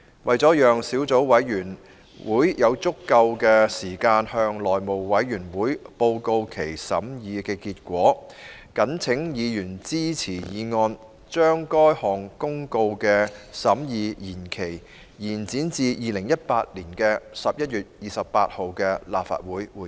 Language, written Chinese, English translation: Cantonese, 為了讓小組委員會有足夠時間向內務委員會報告其審議結果，謹請議員支持議案，將該項公告的審議期限，延展至2018年11月28日的立法會會議。, To allow the Subcommittee sufficient time to report to the House Committee the result of its deliberation I call upon Members to support this motion to extend the period for deliberation of the Notice to the meeting of the Legislative Council on 28 November 2018 . RESOLVED that in relation to the Tax Reserve Certificates Amendment Notice 2018 published in the Gazette as Legal Notice No